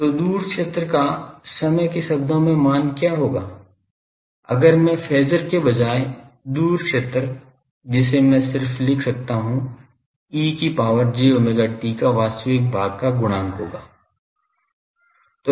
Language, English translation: Hindi, So, what will be the time domain value of far field, if I say instead of phasor, sorry, far field that I can write just by I will have to multiply E to the power j omega t take the real part